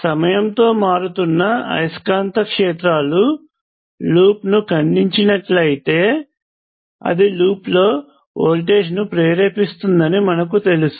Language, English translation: Telugu, You know that if a time varying magnetic fields cuts the loop, it induces a voltage in the loop